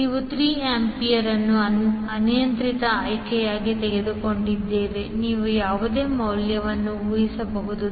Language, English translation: Kannada, We have taken 3 ampere as an arbitrary choice you can assume any value